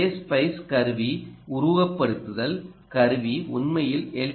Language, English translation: Tamil, and the same spice tool simulation tool is actually also appearing in l t spice